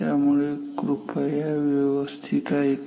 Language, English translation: Marathi, So, please listen to this very carefully